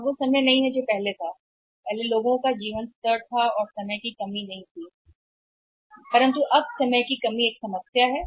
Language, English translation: Hindi, That is not the time now earlier it was there then the people had a stable life and the short there is no shortage of the time there is no paucity of the time now the time is the problem